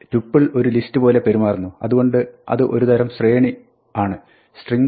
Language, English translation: Malayalam, So, tuple behaves like a list, so it is a kind of sequence